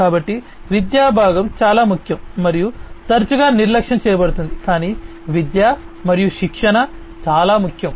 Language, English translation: Telugu, So, education component is very important and is often neglected, but education and training is very important